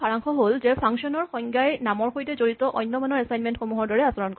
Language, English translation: Assamese, To summarize, function definitions behave just like other assignments of values to names